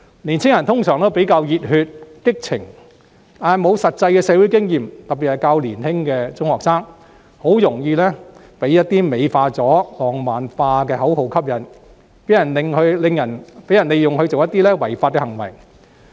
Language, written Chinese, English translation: Cantonese, 年青人通常比較熱血、激情，但欠缺實際社會經驗，特別是較年輕的中學生，很容易被一些經過美化和浪漫化的口號吸引，被人利用作一些違法的行為。, Young people are often enthusiastic and passionate but they lack practical social experience especially secondary students of younger age . They will be very easily attracted by beautified and romanticized slogans and then be used for committing illegal acts